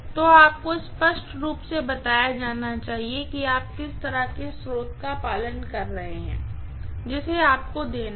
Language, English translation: Hindi, So, you should be given clearly what is the kind of source that you are you know adhering to, that has to be given